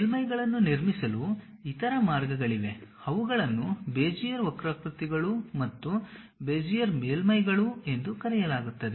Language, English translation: Kannada, There are other ways of constructing surfaces also, those are called Bezier curves and Bezier surfaces